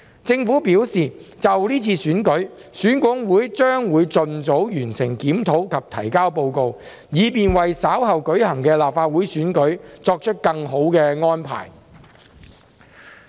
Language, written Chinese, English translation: Cantonese, 政府表示，就這次選舉，選管會將會盡早完成檢討及提交報告，以便為稍後舉行的立法會選舉作出更好的安排。, The Government indicated that EAC would complete the review on the Election and submit the report as soon as possible so that better arrangements could be made for the Legislative Council Election to be held later